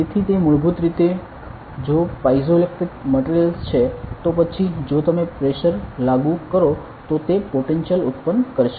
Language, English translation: Gujarati, So, it is basically like if it is a piezoelectric material then if you apply the pressure it will generate a potential